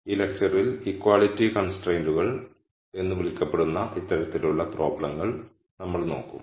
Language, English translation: Malayalam, In this lecture we will look at problems of this type where we have what are called equality constraints